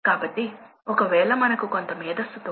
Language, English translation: Telugu, So, we will discuss little bit on that